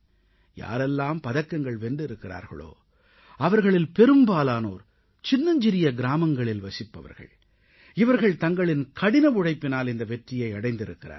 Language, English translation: Tamil, This too is a very positive indication that most of the medalwinners hail from small towns and villages and these players have achieved this success by putting in sheer hard work